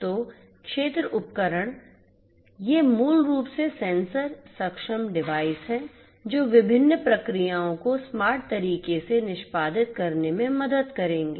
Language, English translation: Hindi, So, field devices so, you know these are basically sensor enable devices which will help in execution of different processes in a smart manner